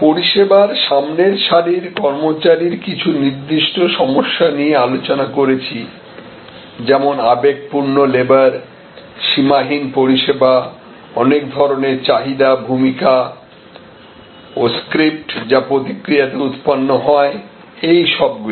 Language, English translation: Bengali, We had discussed a specific problems of front line service employees like emotional labor, like the borderlessness of service or like the multiplicity of demands, the role and the script that are developed in response, all of those